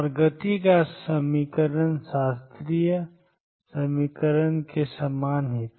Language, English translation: Hindi, And the equation of motion was same as classical equation